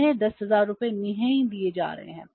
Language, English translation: Hindi, They are not paying 10,000